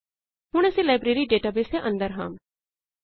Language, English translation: Punjabi, And open our Library database